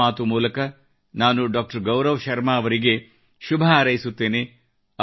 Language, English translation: Kannada, Through the medium of Mann Ki Baat, I extend best wishes to Gaurav Sharma ji